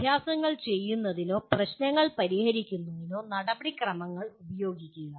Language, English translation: Malayalam, Use procedures to perform exercises or solve problems